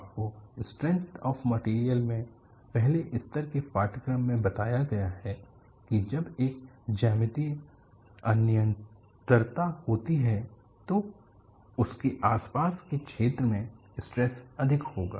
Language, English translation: Hindi, You have been told in a first level course in strength of materials, when there is a geometric discontinuity, in the vicinity of that, stresses would be high